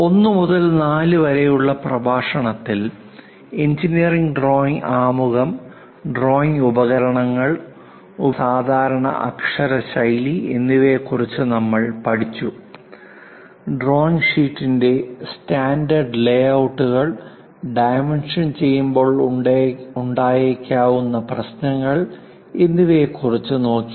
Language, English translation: Malayalam, In lecture 1 to 4, we have learned about engineering drawing introduction, drawing instruments, the typical lettering style to be used; standard layouts of drawing sheet, few issues on dimensioning